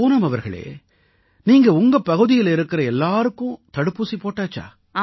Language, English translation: Tamil, Poonam ji, have you undertaken the vaccination of all the people in your area